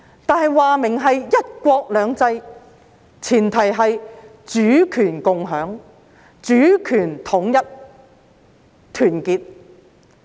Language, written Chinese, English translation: Cantonese, 但是，明言是"一國兩制"，前提是主權共享、主權統一和團結。, However one country two systems by the very nature of the term is premised on shared sovereignty unity of sovereignty and solidarity